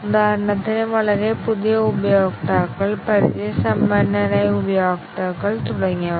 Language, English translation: Malayalam, For example, very novice users, experienced users and so on